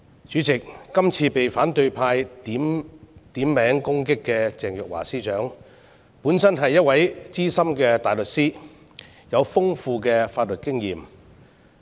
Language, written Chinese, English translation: Cantonese, 主席，今次被反對派點名攻擊的鄭若驊司長，本身是一位資深大律師，有豐富的法律經驗。, President Secretary Teresa CHENG who has currently been named and shamed by the opposition is herself a Senior Counsel with extensive legal experience